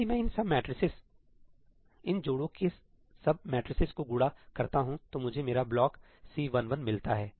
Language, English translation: Hindi, If I multiply these sub matrices, these pairs of sub matrices, then I get my block C11